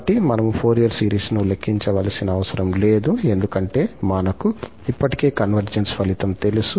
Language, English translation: Telugu, So, we do not have to evaluate the Fourier series because we know already the convergence result